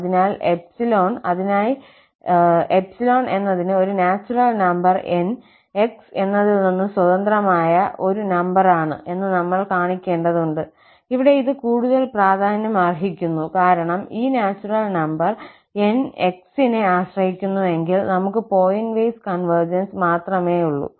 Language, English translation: Malayalam, So, for that, we need to show that for given epsilon there does not exist a natural number N independent of x, here this is more important because if this natural number N depends on x, we have only pointwise convergence